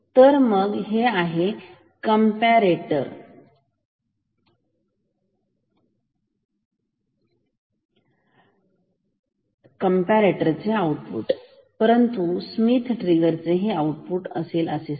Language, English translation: Marathi, So, this is the output from a comparator comp normal comparator, but how will be the output of a Schmitt trigger